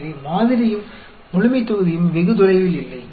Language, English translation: Tamil, So, the sample and the population are not very far away